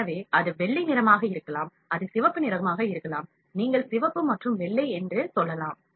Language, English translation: Tamil, So, it can be white, it can be red, you can say red and white